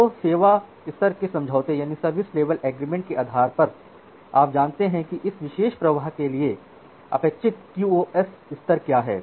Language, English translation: Hindi, So, based on the service level agreement you know that, what is the expected QoS level for this particular flow